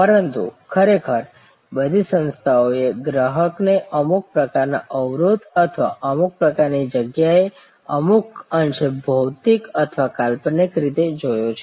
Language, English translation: Gujarati, But, really all organizations looked at customers across some kind of a barrier or some kind of a place somewhat physical, somewhat virtual